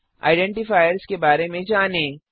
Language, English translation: Hindi, Let us know about identifiers